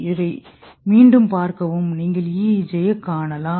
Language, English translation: Tamil, See this is again you can see the EEG